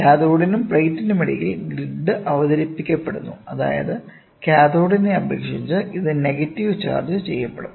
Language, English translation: Malayalam, The grid is introduced between the cathode and the plate such that it is duly charged negative relative to the cathode